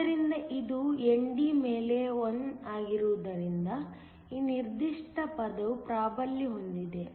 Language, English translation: Kannada, So, since it is one over ND; this particular term will dominate